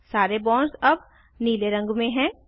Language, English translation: Hindi, All the bonds are now blue in color